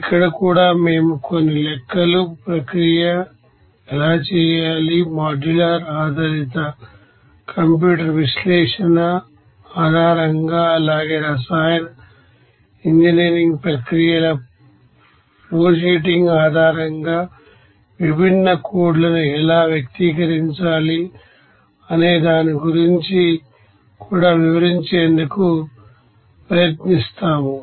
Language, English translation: Telugu, Here also we will try to do something about some calculations, how to do the process, analysis based on modular based you know computer analysis as well as how to actually express the different codes based on the flowsheeting of the chemical engineering processes